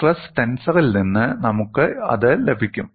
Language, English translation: Malayalam, And we know, what is the stress tensor